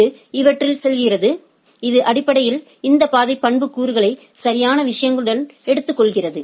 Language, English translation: Tamil, And it goes on these this it basically takes this path attributes along with the things right